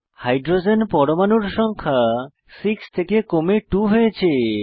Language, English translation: Bengali, Number of hydrogen atoms reduced from 6 to 2